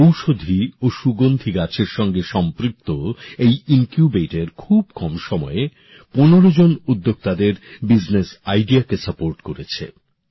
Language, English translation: Bengali, In a very short time, this Incubator associated with medicinal and aromatic plants has supported the business idea of 15 entrepreneurs